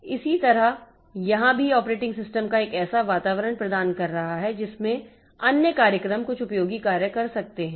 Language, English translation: Hindi, So, similarly here also the operating system is providing an environment in which other programs can do some useful work